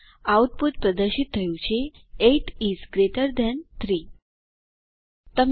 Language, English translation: Gujarati, The output is displayed: 8 is greater than 3